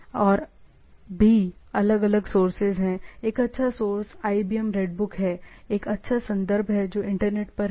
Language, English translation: Hindi, And there are different sources; one good source is IBM Redbook, there is a nice reference which is on the internet